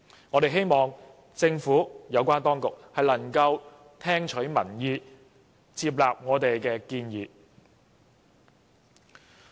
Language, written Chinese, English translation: Cantonese, 我們希望政府有關當局能夠聽取民意，接納我們的建議。, We hope the relevant authorities can heed public opinion and accept our proposals